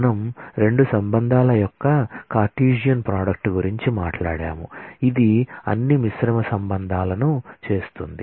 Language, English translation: Telugu, We talked about Cartesian product of 2 relations which make all possible combined relations